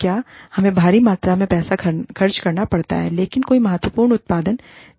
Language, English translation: Hindi, What is costing us, immense amounts of money, but there is no significant output